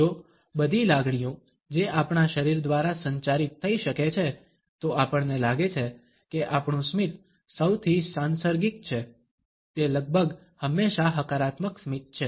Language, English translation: Gujarati, If all emotions which can be communicated by our body, we find that our smile is the most contagious one, it almost always is a positive smile